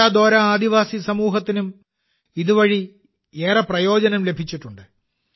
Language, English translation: Malayalam, The Konda Dora tribal community has also benefited a lot from this